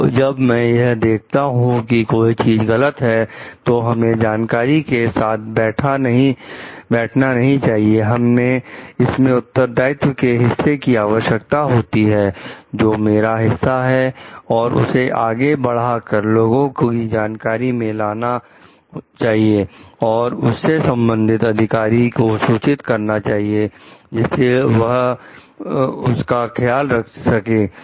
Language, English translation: Hindi, So, when I see something is wrong we I should not sit back with that knowledge it requires a part responsibility on my part also to move ahead to like make people known about it, to report it to the concerned authorities so that they can take care of it